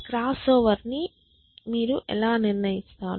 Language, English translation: Telugu, how do you decide crossover I mean